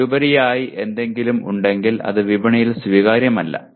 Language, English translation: Malayalam, If it has anything more than that it will not be acceptable in the market